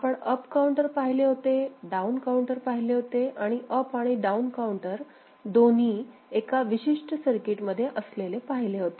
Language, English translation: Marathi, We had seen up counter; we had seen down counter; we had seen up and down counter put into one particular circuit